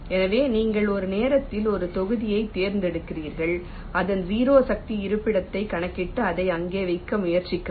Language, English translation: Tamil, so you select one module at a time, computes its zero force location and try to place it there